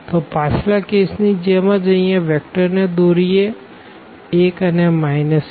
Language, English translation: Gujarati, So, similar to the previous case let us draw this vector here 1 minus 1